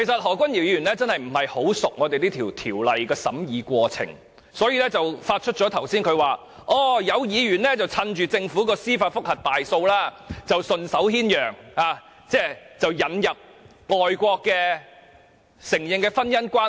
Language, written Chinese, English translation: Cantonese, 何君堯議員確實不大熟悉這項《條例草案》的審議過程，所以他剛才才會指有議員趁着政府於司法覆核個案中敗訴而順手牽羊，引入外國承認的婚姻關係。, Dr Junius HO is obviously not familiar with the course of events concerning the scrutiny of the Bill . That is why he would say earlier that certain Members were taking advantage of the judicial review case the Government just lost to include marriages recognized overseas